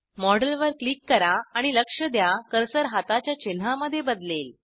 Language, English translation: Marathi, Click on the model and Observe that the cursor changes to a hand icon